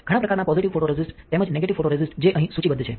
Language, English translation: Gujarati, There are several kind of positive photoresist as well as negative photoresist which are listed here